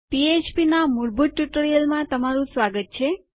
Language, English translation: Gujarati, Hi and welcome to a basic PHP tutorial